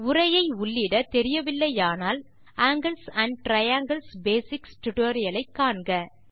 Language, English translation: Tamil, For an introduction on how to write text please refer to the tutorial angles and triangles basics